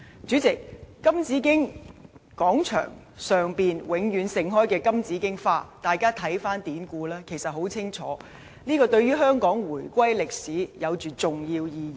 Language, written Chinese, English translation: Cantonese, 主席，金紫荊廣場上永遠盛開的金紫荊花，大家看看典故，便可清楚知道，金紫荊花像對香港回歸歷史的重要意義。, President the golden bauhinia statue which always blooms in the Golden Bauhinia Square has an important historic meaning to Hong Kongs reunification